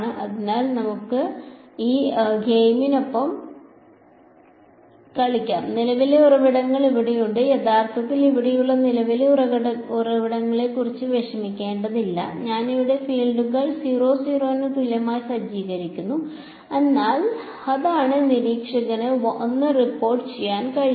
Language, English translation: Malayalam, So, let us play along with this game the current sources are here actually we need not worry about the current sources over here, I am setting the fields over here E comma H equal to 00 that is that is what observer 1 is going to report